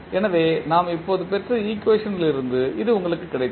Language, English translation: Tamil, So, this is what you got from the equation which we just derived